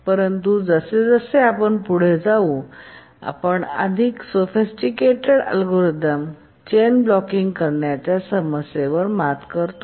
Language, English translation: Marathi, But we'll see that more sophisticated algorithms overcome the chain blocking problem